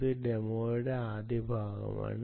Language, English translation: Malayalam, this is the first part of the demo